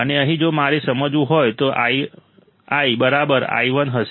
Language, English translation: Gujarati, And here if I want to understand then Ii would be equal to I1 right